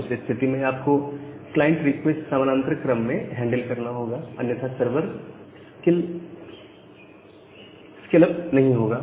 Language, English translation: Hindi, Now if that is the case, then you have to handle the client request in parallel, otherwise the sever will not scale up